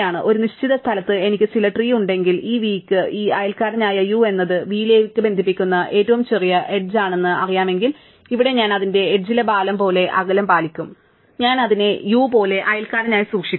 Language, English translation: Malayalam, So, if I have some tree at any given point and I know that for this v, this neighbour u is the smallest edge connecting it to v, then here I will keep it as distance as the weight of the edge, I will keep it as neighbour as u